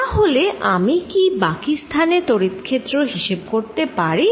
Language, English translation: Bengali, Can I calculate the field in the rest of the space